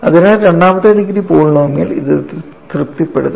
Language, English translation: Malayalam, So, a second degree polynomial will automatically satisfy this